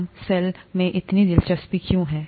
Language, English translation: Hindi, Why are we so interested in this cell